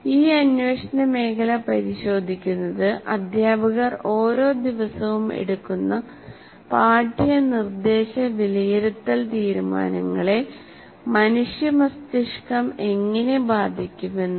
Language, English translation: Malayalam, This field of inquiry looks at how we are learning about the human brain can affect the curricular, instructional and assessment decisions that teachers make every day